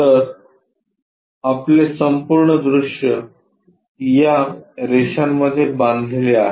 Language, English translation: Marathi, So, your entire view supposed to be bounded in between these lines